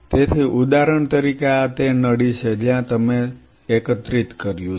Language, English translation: Gujarati, So, say for example, this is the tube where you have collected